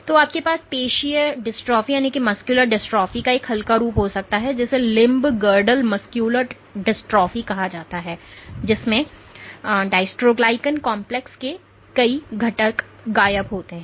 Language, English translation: Hindi, So, you can have a mild form of muscular dystrophy which is called limb girdle muscular dystrophy, in which multiple components of the dystroglycan complex are missing